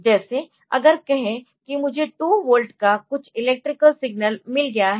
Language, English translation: Hindi, Like see if I have got if there is a if there is some electrical signal of say 2 volt